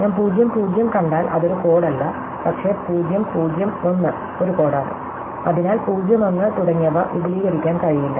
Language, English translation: Malayalam, If I see 0 0 it is not a code, but 0 0 1 is a code, so 0 1 cannot be extend and so on